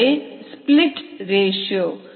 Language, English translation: Tamil, that is the split ratio